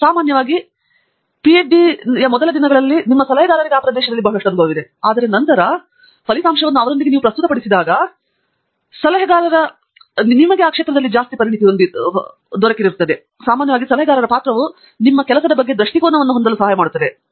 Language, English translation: Kannada, But, in general, and the earlier days of a PhD, your advisor has a lot of experience in that area, and so, when you present results to him or her, and you discuss the results with your advisor, often the advisor’s role is to help you have perspective on what your work is